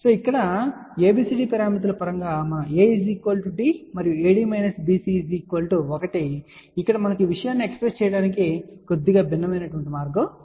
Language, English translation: Telugu, Now, here just like in terms of abcd parameters we had seen a is equal to d ok and AD minus BC is equal to 1 here we have a slightly different ways of expressing the thing